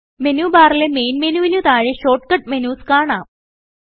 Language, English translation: Malayalam, Short cut icons are available below the Main menu on the Menu bar